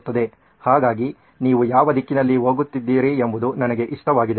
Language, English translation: Kannada, So I like the direction in which you are going